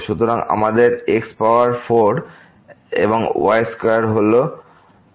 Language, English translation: Bengali, So, we have power 4 and square is power 4